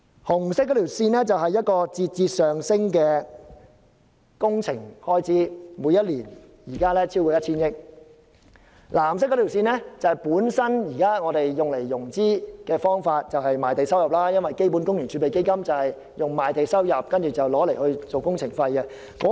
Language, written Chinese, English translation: Cantonese, 紅色線是節節上升的工程開支，現時每年超過 1,000 億元；藍色線是現時融資的方法，即賣地收入，因為基本工程儲備基金是以賣地收入為工程融資。, The red line represents the skyrocketing expenditure on works which exceeds 1,000 billion per year nowadays . The blue line denotes the means of financing currently adopted ie . revenue from land sale as CWRF finances works projects with land sale revenue